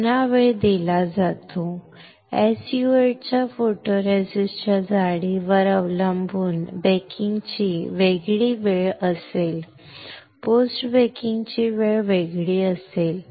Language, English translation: Marathi, Again the time is given, depending on the thickness of the photoresist of SU 8 the time for pre baking time will be different; time for post baking would be different